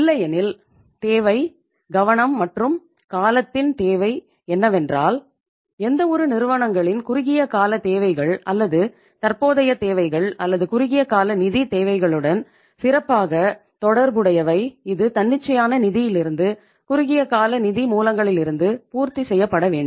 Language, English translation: Tamil, Otherwise the requirement, the focus and the need of the hour is that the short term requirements or the current requirements of any firms or that is specially relating to the finance or the financial short term financial requirements, this should be fulfilled from the spontaneous finance as well as from the short term financial sources